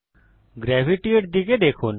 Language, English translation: Bengali, Take a look at Gravity